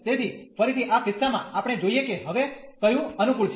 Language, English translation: Gujarati, So, again in this case we have to see which one is convenient now